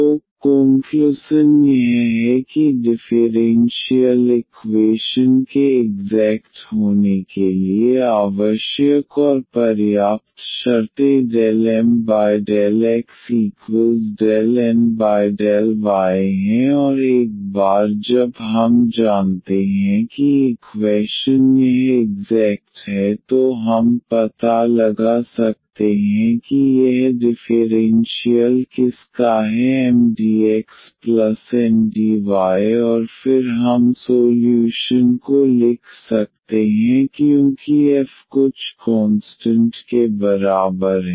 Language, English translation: Hindi, So, the conclusion is that the necessary and the sufficient conditions for the differential equation to be exact is del M over del y is equal to del N over del x and once we know that the equation it is exact then we can find a f whose differential is this Mdx plus Ndy and then we can write down the solution as f is equal to some constant